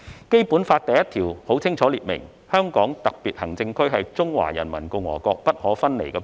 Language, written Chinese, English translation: Cantonese, 《基本法》第一條清楚列明，"香港特別行政區是中華人民共和國不可分離的部分"。, Article 1 of the Basic Law clearly stipulates that [t]he Hong Kong Special Administrative Region is an inalienable part of the Peoples Republic of China